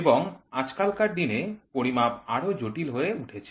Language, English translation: Bengali, And today, measurements has become more and more and more complex